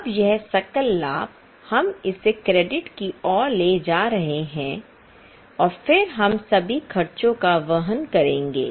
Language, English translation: Hindi, Now this gross profit we are carrying it over on the credit side and then we will charge all the expense